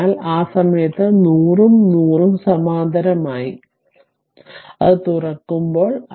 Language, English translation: Malayalam, So, at that time 100 and 100 ohm are in parallel right, when it is open